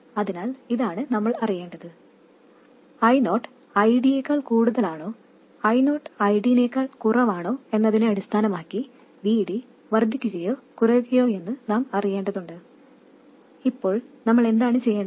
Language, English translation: Malayalam, We need to know that VD increases or decreases based on whether I 0 is more than ID or I D is less than ID